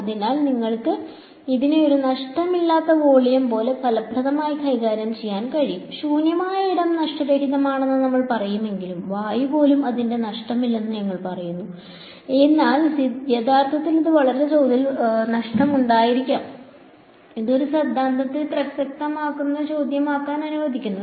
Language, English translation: Malayalam, So, that you can effectively treat it like a lossless volume ok; even though we say free space is lossless right even air we say its lossless, but actually there might be some really tiny amount of loss in it which allows this theorem to be applicable question